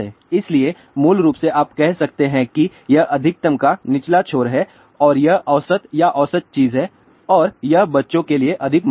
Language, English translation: Hindi, So, basically you can say this is the lower end to the maximum and this is the average or mean thing, ok and this is valid more for children